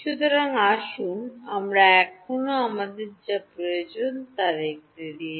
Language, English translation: Bengali, So, let us see still need that is what we have